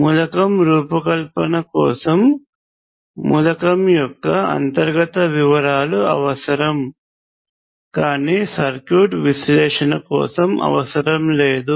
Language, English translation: Telugu, The internal details are required for designing the element, but not for circuit analysis